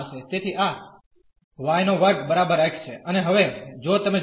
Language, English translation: Gujarati, So, this is y square is equal to x and now if you look at